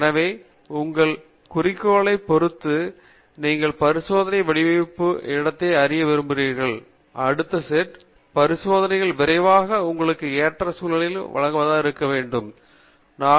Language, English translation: Tamil, So, depending upon your objective, you would like to explore the experimental design space, and see where the next set of experiments are going to quickly lead you to the optimum set of conditions